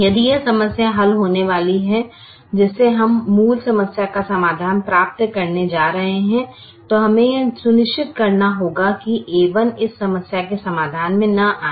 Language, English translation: Hindi, if this problem is going to be solved, from which we are going to get the solution, the original problem then we have to make sure that the a one does not come in the solution of this problem